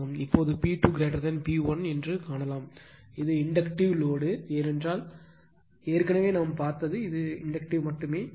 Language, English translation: Tamil, Now, now you can see the P 2 greater than P 1 means, it is Inductive load because already we have seen it is Inductive only